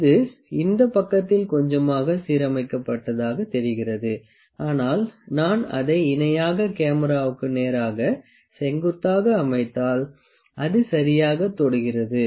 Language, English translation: Tamil, It looked like it is aligned on little this side, this direction, ok, but if I make it parallel to the camera on the straight perpendicular to the camera